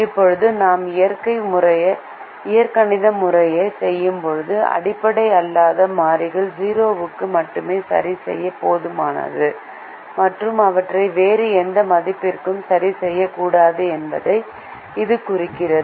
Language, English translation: Tamil, now this implies that when we do the algebraic method, it is enough to fix the non basic variables only to zero and not fix them to any other value